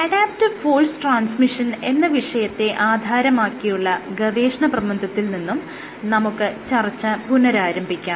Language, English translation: Malayalam, With that I again get started with the paper we started discussing on adaptive force transmission